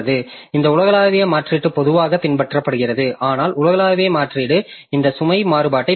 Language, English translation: Tamil, So, that way this global replacement is generally followed, but global replacement has got this load variation